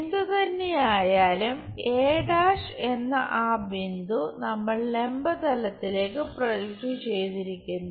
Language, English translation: Malayalam, Whatever the thing we have projected that point a’ on the vertical plane